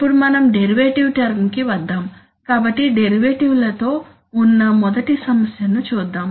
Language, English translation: Telugu, Now let us come to the derivative term, so let us look at the first problem with derivatives that is that, that derivatives